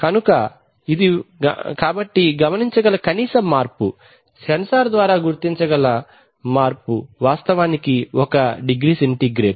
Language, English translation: Telugu, So it is, so the minimum change that can be observed, change which can be detected by the sensor is actually one degree centigrade